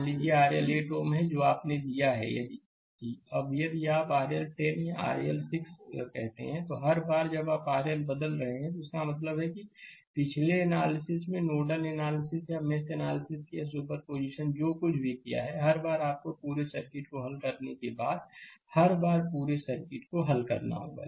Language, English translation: Hindi, Suppose R L is 8 ohm you have taken, now if you change the R L is equal to 10 or R L is equal to say 6 right, every time you are changing R L that means, previous analysis, nodal analysis or mesh analysis or super position whatever we have done; every time you have to solve the whole circuit every time you have solving the whole circuit, right